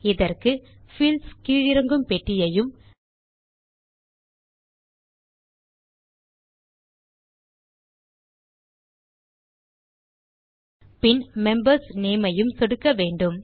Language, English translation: Tamil, For this, we will click on the Fields drop down box and then click on Members.Name